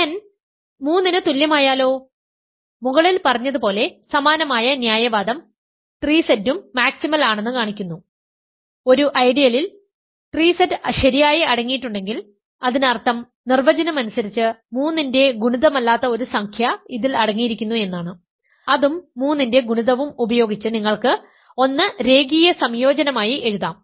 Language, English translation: Malayalam, What about n equal to 3, similar reasoning as above shows that 3Z is also maximal, if an ideal contains 3Z properly; that means, it contains an integer that is not a multiple of 3 by definition, using that and multiple of 3 you can write 1 as a linear combination